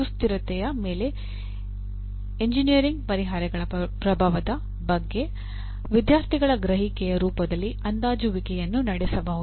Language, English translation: Kannada, Assessment could be in the form of student’s perception of impact of engineering solutions on sustainability